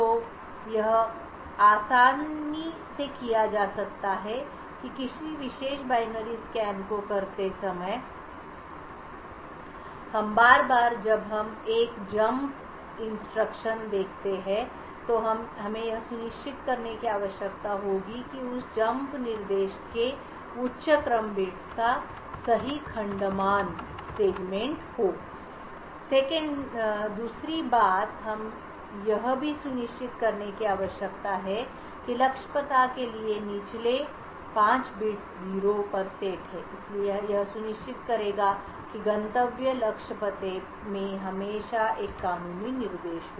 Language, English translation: Hindi, So this can be easily done or while scanning the particular binary every time we see a jump instruction we should need to ensure that the higher order bits of that jump instruction have the correct segment value secondly we need to also ensure that the lower 5 bits are set to 0 for the target address so this will ensure that the destination target address always contains a legal instruction